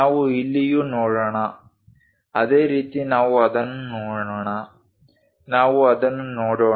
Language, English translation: Kannada, Let us also look at here, similarly let us look at that; let us look at that